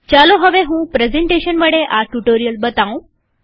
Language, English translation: Gujarati, Let me now continue the tutorial with a presentation